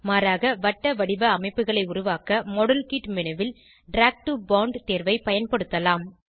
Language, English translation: Tamil, Alternately, we can also use Drag to bond option in modelkit menu to create cyclic structures